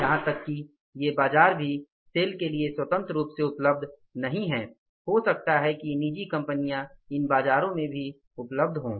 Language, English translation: Hindi, Even these markets are not freely available to the sale, maybe these private companies are existing in these markets also